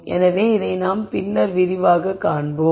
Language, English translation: Tamil, So, this we will see in more detail later